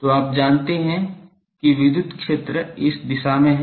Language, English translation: Hindi, So, you know that the electric field is in this direction